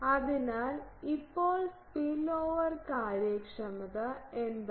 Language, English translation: Malayalam, So, what is spillover efficiency now